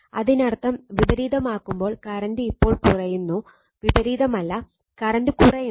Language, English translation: Malayalam, When you are reversing the that means, current is decreasing now current is we are decreasing, not reversing, we are decreasing the current